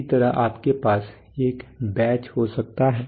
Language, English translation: Hindi, Similarly you could have a batch